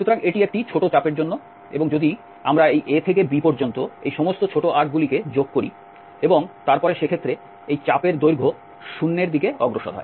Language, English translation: Bengali, So, this is for one small arc and if we add from this A to B all these small arcs and then let the length of this arc tends to 0 in that case